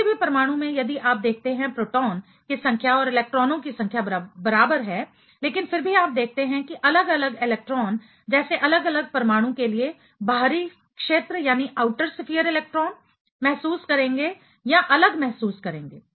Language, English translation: Hindi, In a any atoms if you see number of protons and number of electrons are equal, but still you see that different you know electrons let us say outer sphere electrons for different atom, will be feeling or will have different feeling